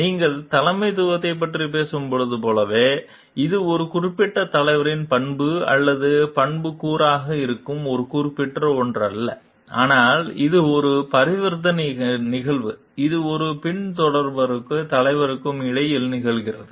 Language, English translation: Tamil, Like when you are talking of leadership, it is not a particular something which is a trait of a or attribute of a particular leader, but it is a transactional event, which is there which happens between that occurs between a follower and a leader